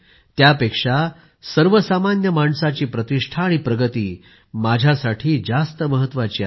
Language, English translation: Marathi, The esteem and advancement of the common man are of more importance to me